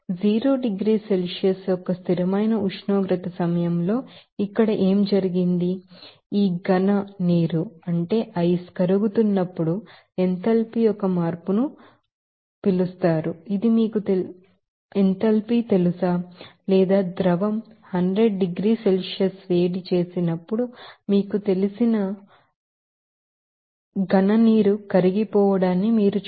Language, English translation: Telugu, What happened here during that constant temperature of zero degrees Celsius, when this solid water will be melting so, there will be a change of enthalpy will be called as you know it is called that melting you know enthalpy or you can see that latent hat you know melting after that whenever liquid will be you know heated up 100 degrees Celsius there will be a change of temperature